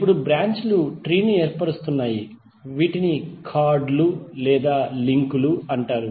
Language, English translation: Telugu, Now the branches is forming a tree are called chords or the links